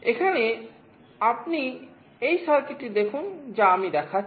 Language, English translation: Bengali, Here you look at this circuit that I am showing